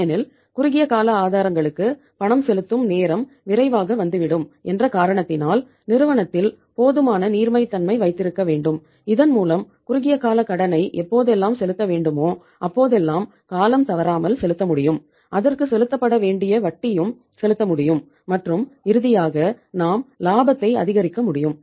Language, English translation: Tamil, Because making the payment to the short term sources becomes quickly due so we have to have the sufficient liquidity in the firm so that we can service the short term debt as and when it becomes due to be paid and the interest to be paid on that and finally we can maximize the profitability